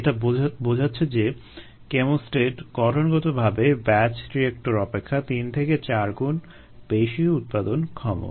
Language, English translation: Bengali, and what does this say: inherently the chemostat is three to four times more productive than a batch reactor